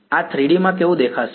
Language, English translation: Gujarati, How will this look like in 3 D